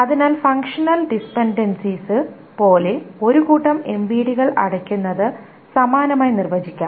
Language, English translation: Malayalam, So then analogously, like the functional dependencies, the closure of a set of MVDs can be defined, etc